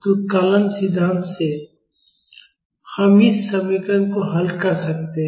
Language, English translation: Hindi, So, from calculus theory, we can solve this equation